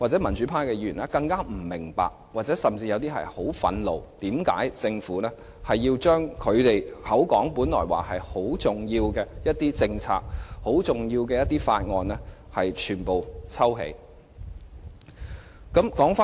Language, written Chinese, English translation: Cantonese, 民主派議員更不明白，他們甚至會十分憤怒，為甚麼政府要將其聲稱很重要的政策或法案全部抽起。, The democratic Members do not understand and they are even very angry wondering why the Government would withdraw a policy or a Bill that it has once claimed to be very important